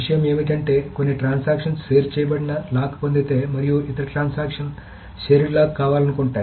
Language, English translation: Telugu, So the point is if there is some transaction which has got shared lock and the other transaction wants a shared lock, can it get it